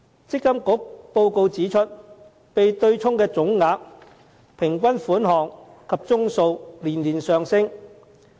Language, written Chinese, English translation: Cantonese, 積金局報告指出，被對沖的總額、平均款項及宗數連年上升。, According to the report of MPFA the total offsetting amount the average offsetting amount and the number of offset cases have been on the increase year on year